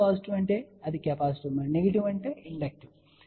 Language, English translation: Telugu, Positive y means it is capacitive and negative y would mean inductive ok